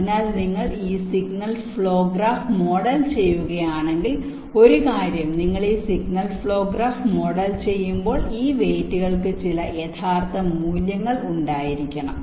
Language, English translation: Malayalam, so if you model this signal flow graph, one thing: when you model this signal flow graph, you have to have some realistic values for this weights